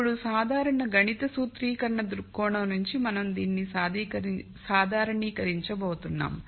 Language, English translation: Telugu, Now, from a general mathematical formulation viewpoint, we are going to generalize this